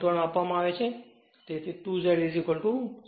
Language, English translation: Gujarati, 1, so, 2 Z is equal to 0